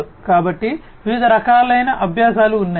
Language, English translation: Telugu, So, there are different types of learning